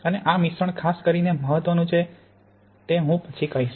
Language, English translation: Gujarati, And there the mixing is especially important as I will say later